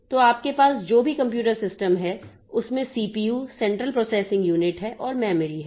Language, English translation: Hindi, So, in any computer system that you have is that there is a CPU, the central processing unit, and we have got the memory